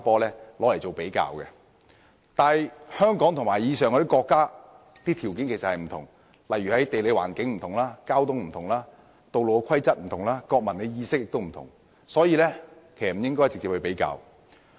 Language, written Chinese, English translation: Cantonese, 然而，香港與這些國家的條件有別，在地理環境、交通情況、道路規則、國民意識等均有所不同，因而不應作直接比較。, Nevertheless given the difference in the circumstances between Hong Kong and these countries in terms of geographical features traffic conditions traffic rules civic awareness etc a direct comparison may not be appropriate